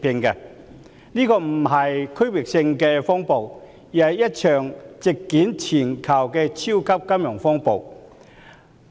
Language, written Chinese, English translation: Cantonese, 這場並非區域性的風暴，而是一場席捲全球的超級金融風暴。, It is not a regional storm but a super financial turmoil sweeping the globe